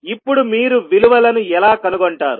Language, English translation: Telugu, Now, how you will find out the values